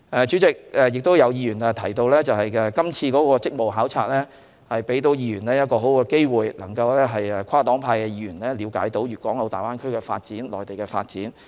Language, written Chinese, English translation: Cantonese, 主席，有議員亦提到，今次的職務考察為議員提供很好的機會，讓跨黨派的議員了解到粵港澳大灣區的發展、內地的發展。, President some Members also mentioned that this duty visit has given a good opportunity for Members across various political parties to understand the development of the Greater Bay Area and the Mainland